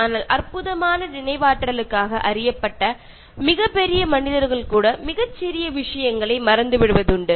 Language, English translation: Tamil, But then even very great people known for their wonderful memory, forget very small things